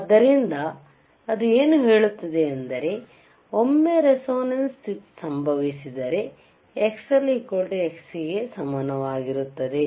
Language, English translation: Kannada, So, what it says is that, when the once the resonance condition occurs, right the xXll will be equal to xXc